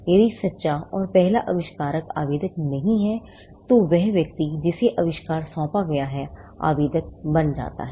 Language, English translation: Hindi, In case the true and first inventor is not the applicant, then the person to whom the invention is assigned becomes the applicant